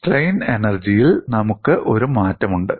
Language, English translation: Malayalam, We have a change in strain energy